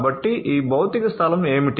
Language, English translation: Telugu, So, what does this physical space have, right